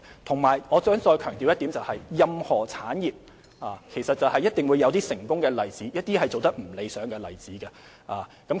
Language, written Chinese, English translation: Cantonese, 再者，我想再次強調，任何產業一定會有成功及不理想的例子。, Furthermore I would reiterate that there are bound to be successful and unsuccessful businesses in any industry